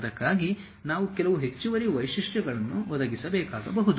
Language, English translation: Kannada, We may have to provide certain additional features for that, ok